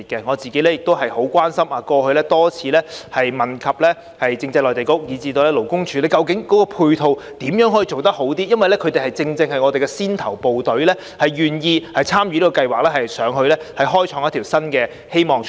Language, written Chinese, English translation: Cantonese, 我個人亦很關心這方面，過去曾多次質詢政制及內地事務局以至勞工處，如何能把配套做好一點，因為他們正正是我們的先頭部隊，願意參與該計劃，到內地開創出一條新的希望出路。, The response was overwhelming . Personally I am quite concerned about this area and have raised several questions in the past about how the Constitutional and Mainland Affairs Bureau and the Labour Department could improve their supporting measures because these people are the vanguards who are willing to participate in the Scheme in the hope of finding a new way out in the Mainland